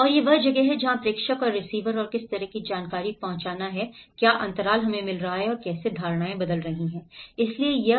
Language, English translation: Hindi, And that is where what the sender and the receiver and what kind of information has been reaching and what is the gaps we are getting and how the perceptions keep changing